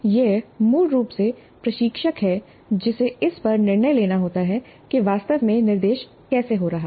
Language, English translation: Hindi, It is basically the instructor who has to decide on this depending upon how actually the instruction is taking place